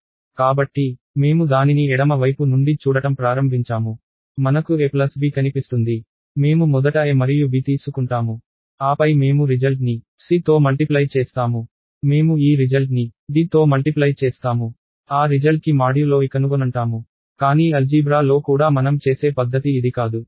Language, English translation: Telugu, So, let say I start looking at it from the left side, I see a plus b, I take a and b first add it and then I multiply the result by c I take the result multiply by d take that result find the modulo by e and so, on